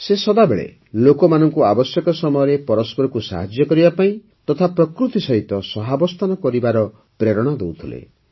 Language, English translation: Odia, She always urged people to help each other in need and also live in harmony with nature